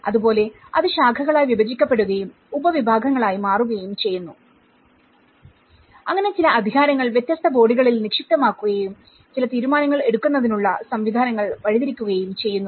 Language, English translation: Malayalam, So similarly, it has been branched out and subcategories so that certain powers are vested on different bodies and certain decision making mechanisms have been channelled through